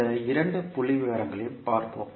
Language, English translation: Tamil, Let us see these two figures